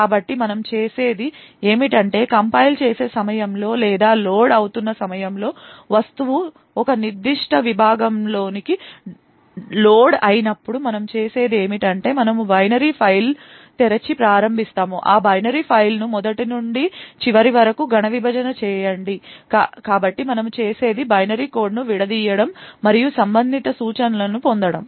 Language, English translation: Telugu, compiling or during the time of loading when the object is loaded into a particular segment so what we do is that we open the binary file and start to scan that binary file from the beginning to the end, so what we do is we take the binary code disassemble it and get the corresponding instructions